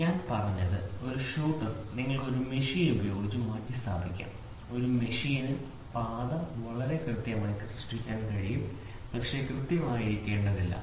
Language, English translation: Malayalam, So, what I said a shooter you can replace it with a machine, a machine can produce path very precise, but need not be accurate